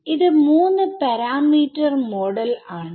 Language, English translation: Malayalam, These are three it is a three parameter model